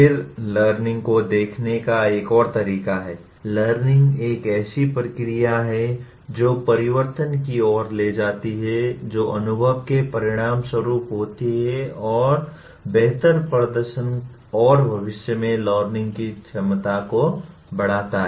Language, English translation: Hindi, Then another way of looking at learning is, learning is a process that leads to change which occurs as a result of experience and increases the potential for improved performance and future learning